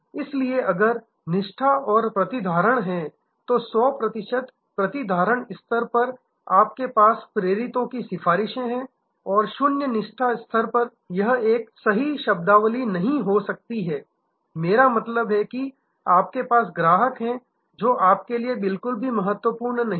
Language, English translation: Hindi, So, there are if this is the loyalty and retention, so at the 100 percent retention level you have this apostles are your advocates and at the zero loyalty level, this is not may be a right terminology today, I mean you have, customers who are not at all important to you